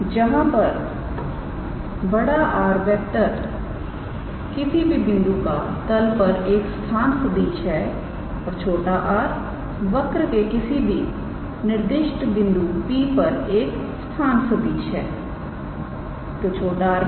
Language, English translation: Hindi, Where our capital R is the position vector of any point on the plane and small r is the position vector of the specified point P of the curve